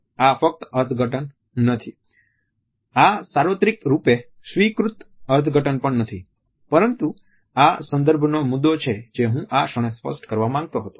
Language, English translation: Gujarati, This is by far not the only interpretation, this is also not the universally accepted interpretation, but this is the point of reference which I wanted to clarify at this point